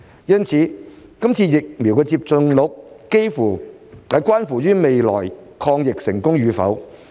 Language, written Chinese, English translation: Cantonese, 疫苗接種率關乎未來抗疫成功與否。, The vaccination rate is crucial to the future success of our fight against the epidemic